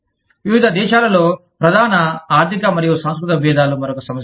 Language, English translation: Telugu, Major economic and cultural differences, among different countries, is another issue